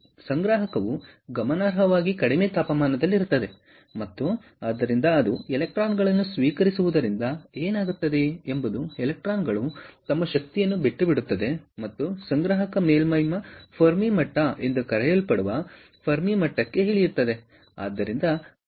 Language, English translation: Kannada, the collector is at significantly lower temperature, ah, and therefore, as it receives the electrons, what happens is the electrons ah, give up their energy and come down to the level of the fermi, which is known as a fermi level, of the collector surface